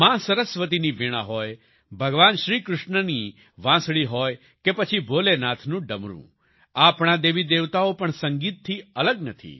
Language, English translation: Gujarati, Be it the Veena of Maa Saraswati, the flute of Bhagwan Krishna, or the Damru of Bholenath, our Gods and Goddesses are also attached with music